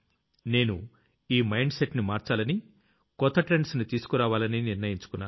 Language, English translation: Telugu, We decided that this mindset has to be changed and new trends have to be adopted